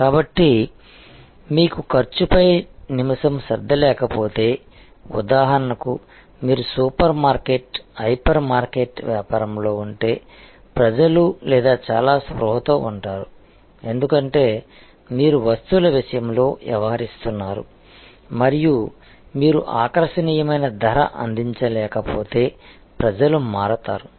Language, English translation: Telugu, So, if you do not have minute attention to cost then for example, if you are in the supermarket, hyper market business, where people or very conscious about, because you are dealing in commodities and people will shift if you are not able to offer attractive pricing